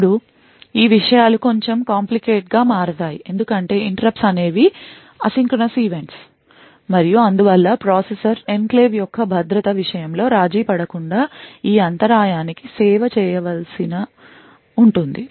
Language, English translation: Telugu, Now this makes things a bit complicated because interrupts are asynchronous events and therefore the processor would need to do service this interrupt without compromising on the security of the enclave